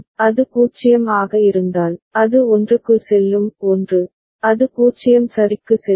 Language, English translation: Tamil, If it is 0, it will go to 1; 1, it is it will go to 0 ok